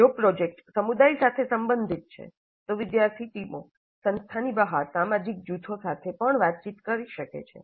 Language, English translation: Gujarati, If the project is related to the community, the student teams may be interacting with social groups outside the institute as well